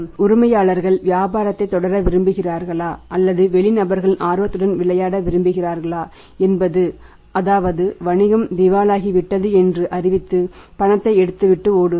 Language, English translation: Tamil, Whether the owner want to continue with the business or he wanted to just play with the interest of the outsiders grab the money declare insolvent business and run away